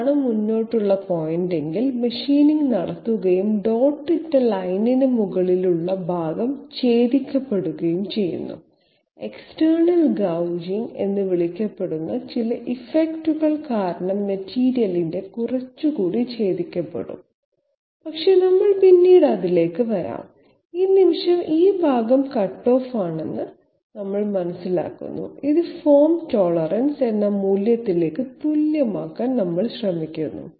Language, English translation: Malayalam, If this is the forward step, machining will be done and this portion will be cut off actually a little more of the material will be cut off due to some effect called external gouging, but we will come to that later on, at this moment we understand that this part is cutoff and this is known as this we try to equate to a value called form tolerance